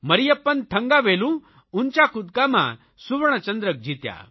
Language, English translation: Gujarati, Mariyappan Thangavelu won a gold medal in High Jump